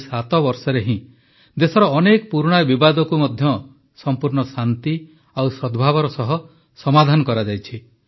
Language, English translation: Odia, In these 7 years, many old contestations of the country have also been resolved with complete peace and harmony